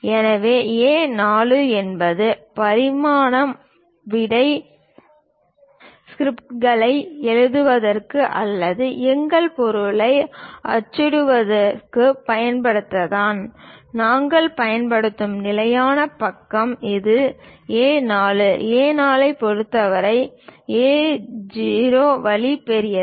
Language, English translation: Tamil, So, A4 is the sheet what we traditionally use it for writing answer scripts or perhaps printing our material; the standard page what we use is this A4; with respect to A4, A0 is way large